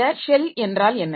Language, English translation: Tamil, So, what is this shell